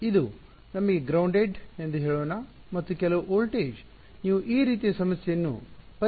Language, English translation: Kannada, This is let us say a grounded and this is that some voltage you want to solve the problem like this